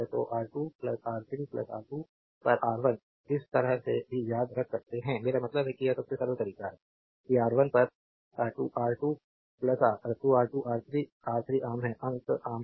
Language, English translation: Hindi, So, R 2 plus R 3 plus R 2 upon R 3 upon R 1 this way also you can remember this; I mean this is the simplest way that R 1 at 2 R 2 R 3 R 3 is common, numerator is common